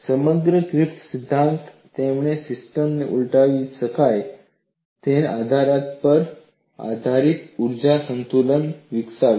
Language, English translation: Gujarati, Whole of Griffith theory, he developed this energy balance based on the premise that the system is reversible